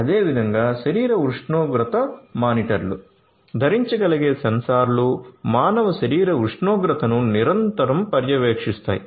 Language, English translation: Telugu, Similarly, body temperature monitors wearable sensors to continuously monitor the human body temperature